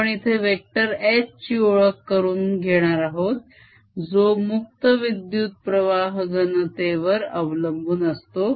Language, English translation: Marathi, we are introducing a vector h which is related to free current density